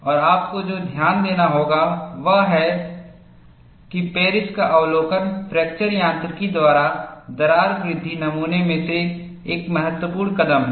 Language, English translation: Hindi, And what you will have to note is, the observation of Paris is an important step in modeling crack growth by fracture mechanics